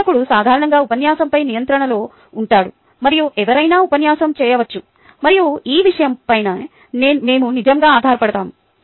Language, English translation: Telugu, the instructor is usually in control of the lecture and pretty much anyone can lecture and thats what we rely on